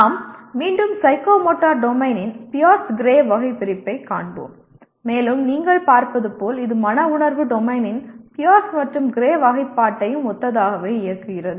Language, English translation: Tamil, We will go through again Pierce Gray taxonomy of psychomotor domain and as you will see it is somewhat runs similar to the Pierce and Gray classification of affective domain as well